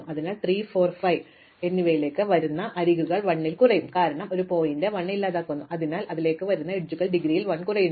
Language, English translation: Malayalam, So, the edges coming into 3, 4 and 5 will reduce by 1, because the vertex 1 is gone, so the edges coming into them reduce by 1 their indegrees also reduce by 1